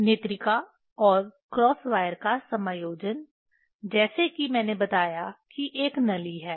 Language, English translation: Hindi, Adjustment of eyepiece and cross wire, as I told that there is a tube